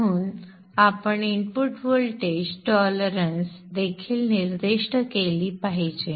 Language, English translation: Marathi, So you should also specify the input voltage problems